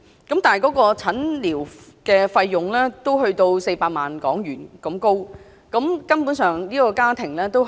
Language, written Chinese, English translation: Cantonese, 但是，診療費要400萬港元，他的家庭根本負擔不來。, He now needs to seek medical treatment in the United States . But the treatment will cost HK4 million . It is out of the affordability of the family